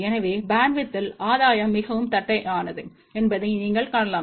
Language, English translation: Tamil, So, you can see that over the bandwidth the gain is fairly flat